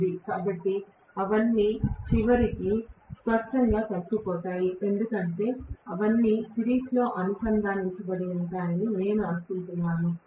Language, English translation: Telugu, So, all of them are ultimately added together clearly because I assume that all of them are connected in series, ultimately